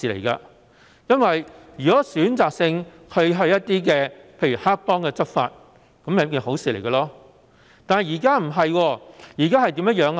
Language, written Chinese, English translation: Cantonese, 如果警方選擇性向例如黑幫執法便會是好事，但現時卻不是這樣。, If the Police enforce the law selectively against the triads then it is a good thing . But this is not the case now